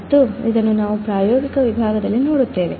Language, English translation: Kannada, And this we will see in the experimental section